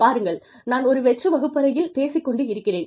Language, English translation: Tamil, See, I am talking to an empty classroom